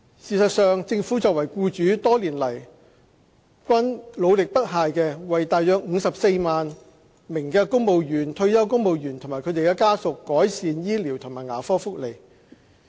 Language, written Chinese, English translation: Cantonese, 事實上，政府作為僱主，多年來均努力不懈為大約54萬名公務員、退休公務員及他們的家屬改善醫療和牙科福利。, In fact as the biggest employer in Hong Kong the Government has been making tireless efforts to improve the medical and dental benefits for about 540 000 civil servants retired civil servants and their dependents